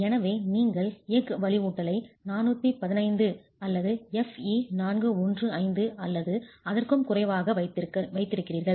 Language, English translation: Tamil, And as far as steel reinforcement is concerned, you are required to use steel reinforcement FE415 or lesser